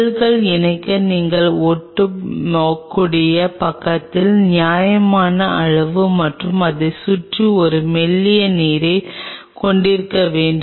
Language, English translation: Tamil, For the cells to attach you have to have reasonable amount of adhering side and a thin film of water around it